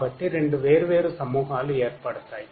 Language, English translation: Telugu, So, two different clusters will be formed